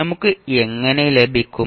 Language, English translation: Malayalam, How we will get